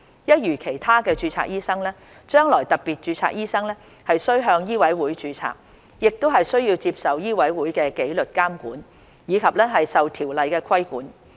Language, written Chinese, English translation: Cantonese, 一如其他註冊醫生，將來特別註冊醫生須向醫委會註冊，亦須接受醫委會的紀律監管，以及受《條例》規管。, Same as other registered doctors doctors with special registration will be required to register under MCHK and will be subject to the disciplinary regulation of MCHK and the regulatory control of MRO